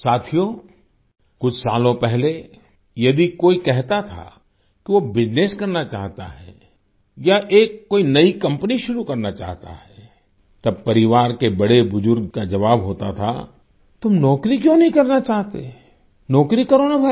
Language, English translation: Hindi, a few years back if someone used to say that he wants to do business or wants to start a new company, then, the elders of the family used to answer that "Why don't you want to do a job, have a job bhai